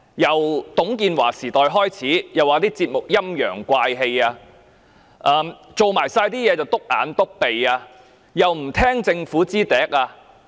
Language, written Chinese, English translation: Cantonese, 自董建華時代開始，港台的節目被指"陰陽怪氣"，所做的事"篤眼篤鼻"，亦不聽從政府的話。, Since the era of TUNG Chee - hwa programmes of RTHK have been criticized as weird and eccentric its work is regarded as eyesores and it has failed to follow the order of the Government